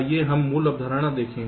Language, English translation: Hindi, ok, let us see the basic concept